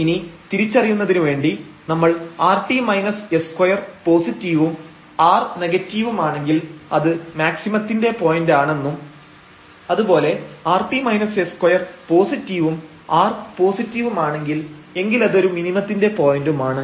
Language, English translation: Malayalam, And then for the identification we have realized that if this rt minus s square, so rt and minus s square, this is positive and this r is negative, then we have the point of a maximum